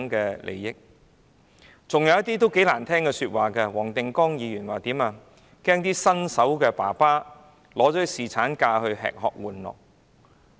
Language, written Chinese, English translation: Cantonese, 還有一些議員說出很難聽的話，例如，黃定光議員說："恐怕新手爸爸會利用侍產假吃喝玩樂"。, In addition some Members have made offensive remarks . For example Mr WONG Ting - kwong said I am afraid that first - time father may spend their paternity leave having fun and enjoying themselves